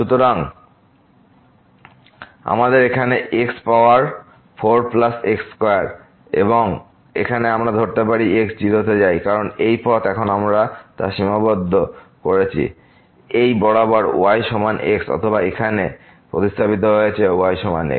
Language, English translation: Bengali, So, we have here power plus square and now, we can approach as goes to because along this path now we have restricted this is equal to or we have substituted here is equal to